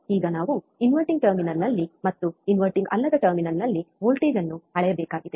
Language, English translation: Kannada, Now inverting we have to measure voltage at inverting terminal and we have to measure voltage at non inverting terminal